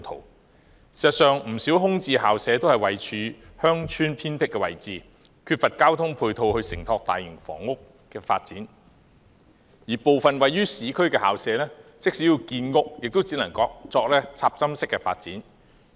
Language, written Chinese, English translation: Cantonese, 事實上，不少空置校舍位處鄉村偏僻位置，缺乏交通配套承托大型房屋發展，而部分位於市區的校舍，即使要建屋，也只能作插針式發展。, In fact many vacant school premises are located in remote villages lacking ancillary transport facilities to support large - scale housing development . As regards some school premises in urban areas even if they were used for housing production only single - block development could be carried out